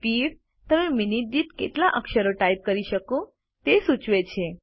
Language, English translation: Gujarati, Speed indicates the number of characters that you can type per minute